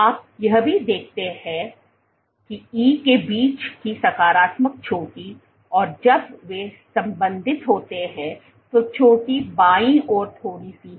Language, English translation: Hindi, What you also see that the peak the positive peak between E and turn over when they are related is slightly to the left